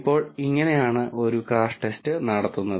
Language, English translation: Malayalam, Now, this is how a crash test is performed